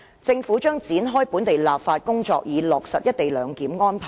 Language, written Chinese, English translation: Cantonese, 政府將展開本地立法工作，以落實一地兩檢安排。, The Government will commence the domestic legislative exercise for implementing the co - location arrangement